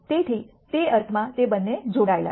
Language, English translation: Gujarati, So, in that sense they are both coupled